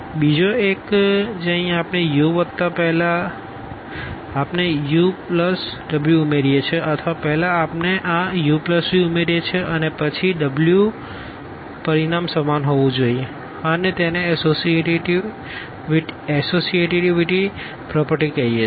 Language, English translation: Gujarati, The another one that here u plus first we add v plus w or first we add this u plus v and then w the result must be the same and this is called the associativity property